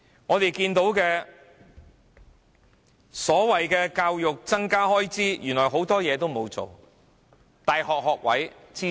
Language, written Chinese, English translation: Cantonese, 我們看到所謂增加教育開支，原來很多事情都沒有做。, We notice that there is a so - called increase in education expenditure but nothing has been done in many aspects